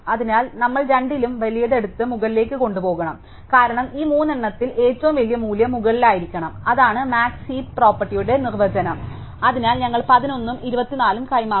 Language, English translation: Malayalam, So, we must take the bigger of the two and move it up, because among these three the biggest value must be at the top that is the definition of the max heap property, so we exchange the 11 and the 24